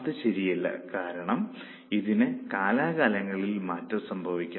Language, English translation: Malayalam, It is not true because it can change from time to time